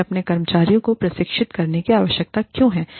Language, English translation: Hindi, Why do we need, to train our employees